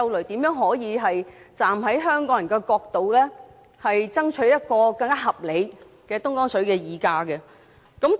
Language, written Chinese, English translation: Cantonese, 怎樣可以令政府站在香港人的角度，爭取一個更合理的東江水的議價機制？, How can we make the Government fight for a more reasonable price negotiation mechanism on Dongjiang water from the perspective of Hong Kong people?